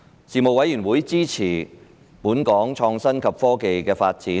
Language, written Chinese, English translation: Cantonese, 事務委員會支持本港創新及科技的發展。, The Panel supported Hong Kongs development of innovation and technology